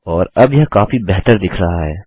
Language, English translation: Hindi, And this will look much better now